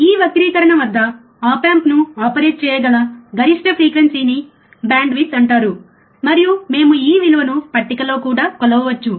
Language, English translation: Telugu, At this distortion, right we can say that, the maximum frequency at which the op amp can be operated is called bandwidth, and we can also measure this value in table